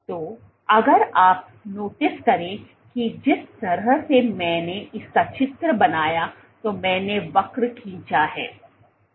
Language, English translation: Hindi, So, if you notice the way I drew have drawn the curve